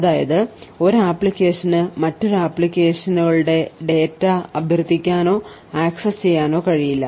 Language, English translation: Malayalam, However, one application is isolated from another application that is one application cannot invoke or access data of another applications